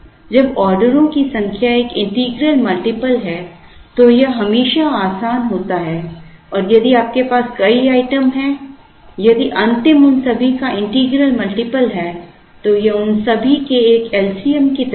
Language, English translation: Hindi, When the number of orders is an integral multiple then it is always easier and if you have multiple items, if the last one is an integral multiple of all of them, it is like an l c m of all of them